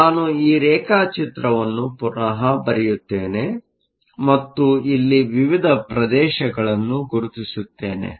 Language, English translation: Kannada, So, let me redraw this diagram and mark the various regions here